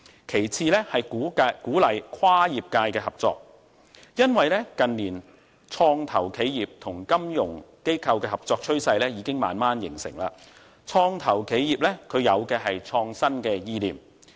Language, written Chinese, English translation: Cantonese, 其次是鼓勵跨業界合作，因為近年創投企業與金融機構合作的趨勢正慢慢形成，創投企業有的是創新意念。, Another thing is to encourage cross - sector cooperation . In recent years the trend of cooperation between venture capital enterprises and financial institutions has gradually taken shape